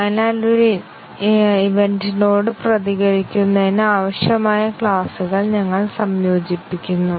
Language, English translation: Malayalam, So, we integrate classes as required to respond to an event